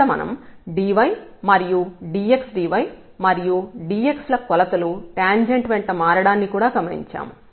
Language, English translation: Telugu, So, we have also noted here that dy and dx dy and this dx measure changes along the tangent line